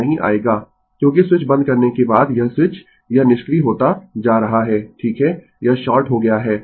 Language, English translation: Hindi, It will not come because after swit[ch] closing the switch this is becoming inactive right it is shorted